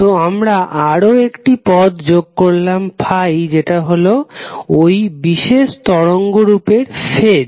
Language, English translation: Bengali, So we add another term called phi which is nothing but the phase of that particular waveform